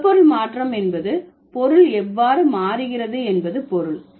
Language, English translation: Tamil, Semantic change means how the meaning gets changed